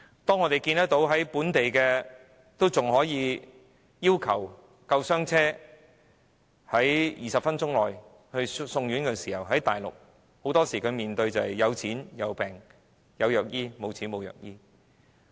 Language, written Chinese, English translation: Cantonese, 當我們看到本地的長者還可以要求救護車在20分鐘內把他們送院，在內地很多時候面對的是"有錢有病有藥醫，沒錢沒藥醫"。, In Hong Kong an elderly person can ask the ambulance to send him to the hospital within 20 minutes . But on the Mainland a patient can only receive medical treatment if he has a lot of money and will be denied of any medical care if he cannot afford it